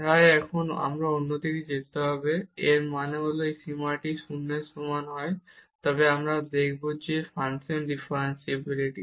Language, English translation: Bengali, So now we will go the other way round; that means, if this limit is equal to 0 we will show that the function is differentiable